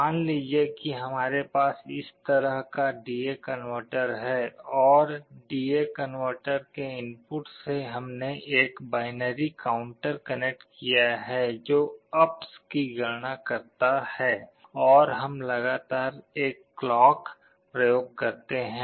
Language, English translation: Hindi, Suppose we have a D/A converter like this, and to the input of the D/A converter we have connected a binary counter which counts up and we apply a clock continuously